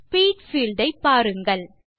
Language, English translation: Tamil, Look at the Speed field now